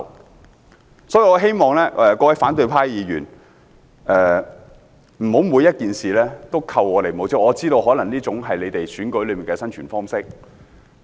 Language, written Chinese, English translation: Cantonese, 因此，我希望各位反對派議員，不要每件事都扣我們帽子，我知道這可能是他們在選舉中生存的方式。, Thus I hope that opposition Members will not pin labels on us in each and every matter although I understand that this may be their way to survive in elections